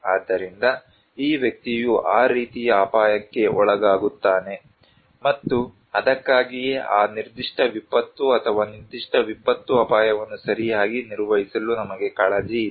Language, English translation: Kannada, So, this person is exposed to that kind of hazard, and that is why we have concern to manage that particular disaster or particular disaster risk right